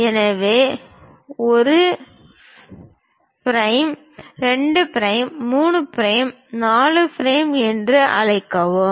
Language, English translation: Tamil, So, let us call 1 prime, 2 prime, 3 prime, 4 prime